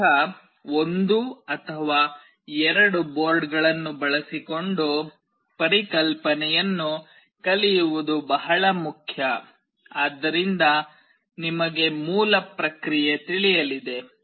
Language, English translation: Kannada, It is important to learn the concept using at least one or two boards, such that you know the basic process